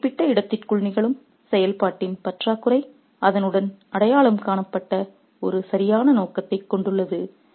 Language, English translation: Tamil, The lack of functioning that's happening within a particular space which has due purpose identified with it